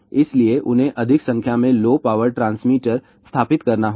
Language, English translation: Hindi, So, they have to install more number of low power transmitter